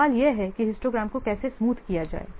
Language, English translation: Hindi, The question is how to smoothen the histograms